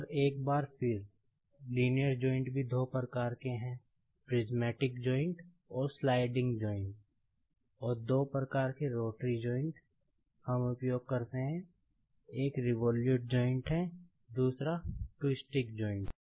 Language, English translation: Hindi, And, once again, there are two types of linear joint, the prismatic joint and sliding joint, and two types of rotary joint we use, one is the revolute joint, another is the twisting joint